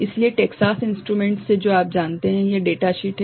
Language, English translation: Hindi, So, from Texas instruments you know from this data sheet